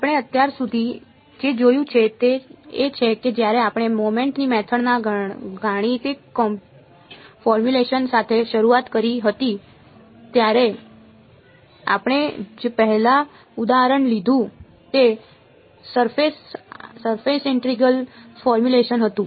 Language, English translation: Gujarati, What we have seen so far is when we started with the mathematical formulation of method of moments, the first example we took was the surface integral formulation